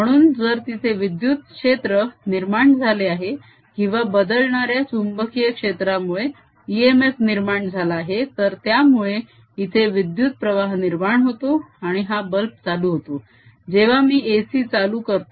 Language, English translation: Marathi, so if there is an electric field produce or there is an e m f produced due to changing magnetic field, it should produce a current here and this bulb should light up when i turn the a c on